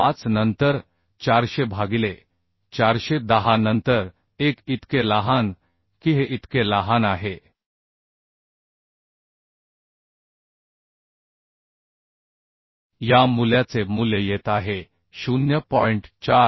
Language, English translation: Marathi, 25 then 400 by 410 then 1 So smaller of this so smaller of this value is coming 0